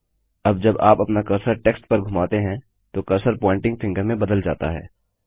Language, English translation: Hindi, Now when you hover your cursor over the text, the cursor turns into a pointing finger